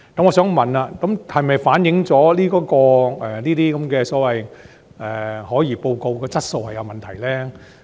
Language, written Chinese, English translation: Cantonese, 我想問，這是否反映此等所謂的可疑交易報告質素有問題？, I would like to ask if this reflects a problem of quality with such kind of so - called suspicious transaction reports?